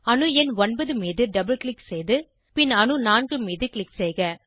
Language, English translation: Tamil, Double click on atom number 9, and then click on atom 4